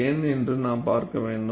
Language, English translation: Tamil, What we will look at is